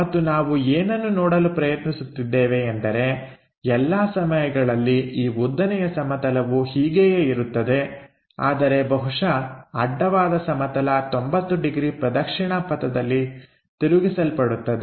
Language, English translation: Kannada, And, what we are trying to look at is all the time this vertical plane remains same, but horizontal plane perhaps flipped by 90 degrees in the clockwise direction